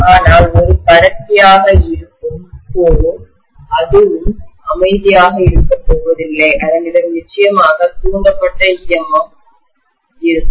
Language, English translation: Tamil, But the core which is a conductor, that is also not going to keep quiet, that will also definitely have an induced EMF